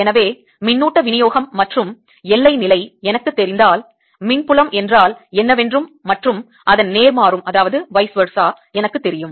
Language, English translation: Tamil, so if i know the charge distribution and the boundary condition, i know what the electric field is and vice versa